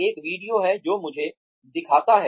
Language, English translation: Hindi, There is a video, that shows me